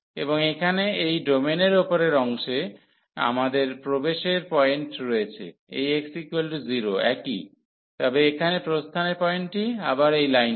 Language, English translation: Bengali, And in the upper part of this domain here, we have the entry point this x is equal to 0 the same, but the exit point here is again this line